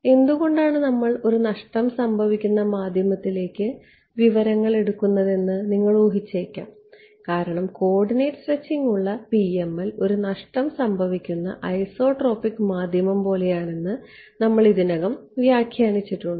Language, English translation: Malayalam, You might have guessed why we are taking recoats to a lossy media because we have already given the interpretation that PML with coordinate stretching is like a lossy an isotropic media right